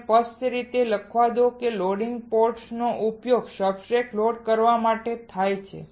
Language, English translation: Gujarati, Let me write it clearly loading port is used for loading substrates